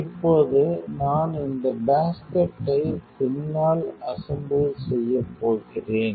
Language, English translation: Tamil, And now, I am going to assemble this basket to back